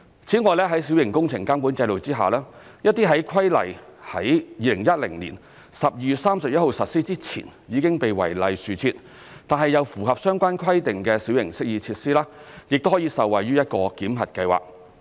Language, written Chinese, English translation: Cantonese, 此外，在小型工程監管制度下，一些在規例於2010年12月31日實施前已經被違例豎設，但又符合相關規定的小型適意設施，亦可以受惠於一個檢核計劃。, Furthermore under MWCS certain minor amenity features that are erected in violation of the Ordinance before the commencement of the Building Minor Works Regulation on 31 December 2010 but which meet relevant requirements could also enjoy a validation scheme